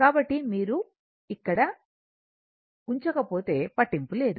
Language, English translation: Telugu, So, so if you do not put here, does not matter